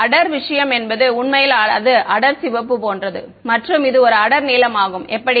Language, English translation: Tamil, The dark thing that actually that that is like the darkest red and this is the darkest blue that is how